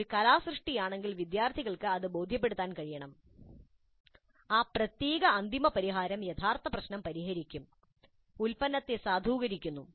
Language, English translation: Malayalam, If it is an artifact, the students must be able to demonstrate that that particular final solution does solve the original problem, validate the product